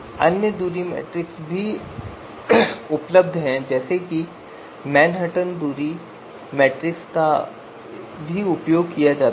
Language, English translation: Hindi, There are other distance metrics for example Manhattan distance this is also used